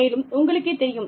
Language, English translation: Tamil, And, you will be able to understand it